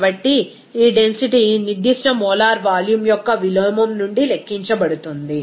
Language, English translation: Telugu, So, this density can be calculated from the inverse of specific molar volume